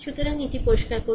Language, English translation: Bengali, So, let clear it right